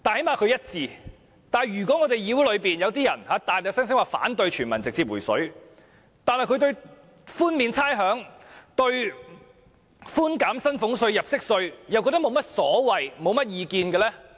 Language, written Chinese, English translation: Cantonese, 可是，議會內卻有些議員聲稱反對全民直接"回水"，但對寬免差餉、寬減薪俸稅和入息稅卻沒有意見。, Nonetheless in this Council some Members oppose the direct refund of money to each person on the one hand but on the other hand remain neutral with the provision of rates concession and reduction in salaries tax and tax under personal assessment